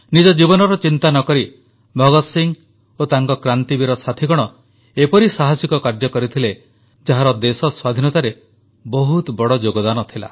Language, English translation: Odia, Bhagat Singh along with his revolutionary friends, without caring for their own selves, carried out such daring acts, which had a huge bearing in the country attaining Freedom